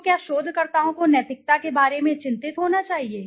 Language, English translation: Hindi, So, should researchers be concerned about ethics